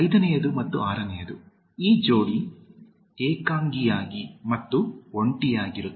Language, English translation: Kannada, Fifth one, and the sixth one, the pair is alone and lonely